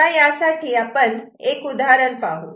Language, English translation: Marathi, Let us look at this example